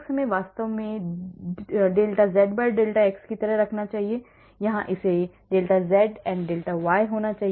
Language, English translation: Hindi, I should actually put it like δz/δx and here it should be δz/and δy